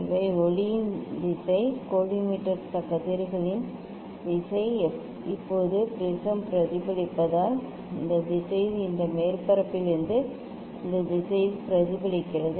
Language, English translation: Tamil, these the direction of the light, direction of the collimator rays now because the prism it is reflected, it is reflected in this direction also from this surface in this direction